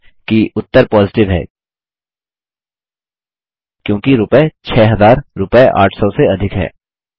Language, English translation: Hindi, Notice, that the result is Positive since rupees 6000 is greater than rupees 800